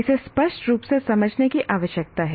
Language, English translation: Hindi, That needs to be clearly understood